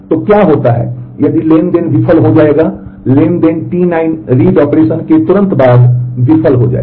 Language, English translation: Hindi, So, what happens is what if the transaction will fail the transaction T 9 will fail immediately after the read operation